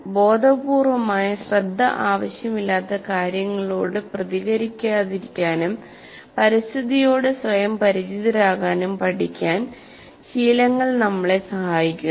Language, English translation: Malayalam, Habituation helps us to learn not to respond to things that don't require conscious attention and to accustom ourselves to the environment